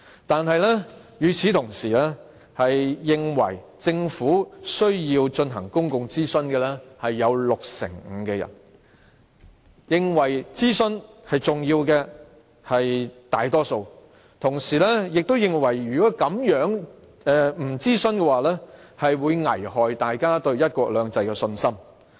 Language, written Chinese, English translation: Cantonese, 但與此同時，六成五的人認為政府需要進行公眾諮詢，大多數人認為諮詢是重要的，同時亦認為如果不進行諮詢，將危害大家對"一國兩制"的信心。, But at the same time 65 % of the interviewees considered it necessary for the Government to conduct public consultation . A majority of the people considered it important to conduct consultation and at the same time they considered that if no consultation was conducted public confidence in one country two systems would be undermined